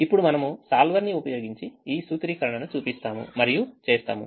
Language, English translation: Telugu, now will show this formulation using the solver and do that